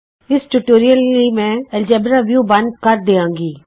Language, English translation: Punjabi, For this tutorial I will close the Algebra view